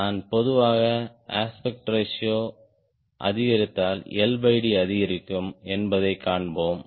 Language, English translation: Tamil, if i increase aspect ratio generally, we will find l by d will increase